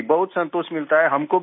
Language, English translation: Hindi, Yes, I get a lot of satisfaction